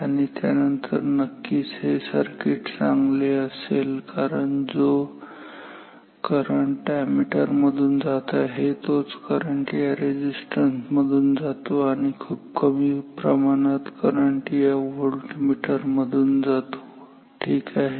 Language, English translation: Marathi, And then of course, this circuit is therefore, better because the current through the ammeter most of it goes through this resistance and a very little amount goes through this voltmeter ok